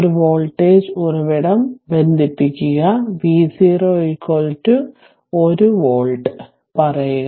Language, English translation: Malayalam, And you connect a voltage source, say V 0 is equal to 1 volt right